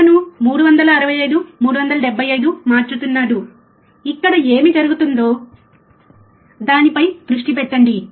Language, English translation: Telugu, He is changing 365, 375 you focus on here what happens